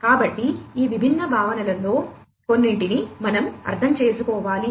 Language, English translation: Telugu, So, we need to understand some of these different concepts